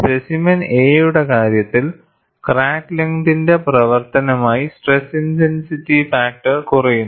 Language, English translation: Malayalam, In the case of specimen A, stress intensity factor decreases as the function of crack length